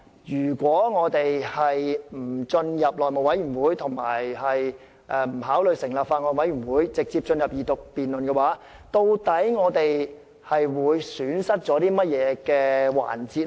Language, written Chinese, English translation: Cantonese, 如果我們不將《條例草案》交付內務委員會及不考慮成立法案委員會，直接進入二讀辯論，究竟我們會損失甚麼環節？, If the Bill is not referred to the House Committee and if the setting up of a Bills Committee is not considered what will we lose in proceeding to the Second Reading debate direct?